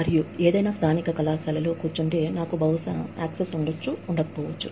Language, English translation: Telugu, And, sitting in any local college, I would probably not have, had access to this